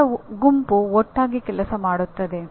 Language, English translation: Kannada, A group of people will work together